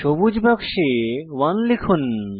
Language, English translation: Bengali, Enter 1 in the green box